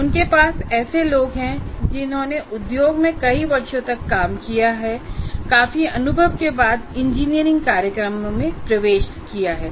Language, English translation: Hindi, You have people who have worked for several years in the industry and are entering into an engineering program after considerable experience